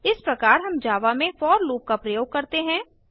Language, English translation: Hindi, In this tutorial, you will learn how to use the for loop in Java